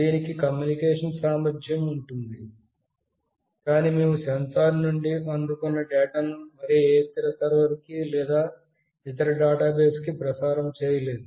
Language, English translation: Telugu, It has got a communication capability, but we were not transmitting the data that we received from the sensor to any other server or any other database